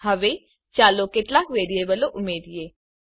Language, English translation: Gujarati, Now Let us add some variables